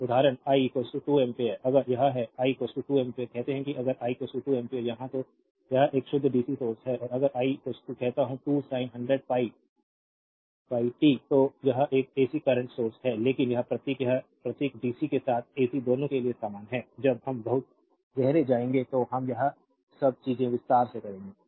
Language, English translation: Hindi, So, example i is equal to 2 ampere, if it is i is equal to 2 ampere say if i is equal to 2 ampere here right then it is a pure dc source and if i is equal to say 2 sin 100 pi pi t then it is an ac current source, but this symbol this symbol is same for both dc as well as ac, when we will go much deeper we will know all this things in detail right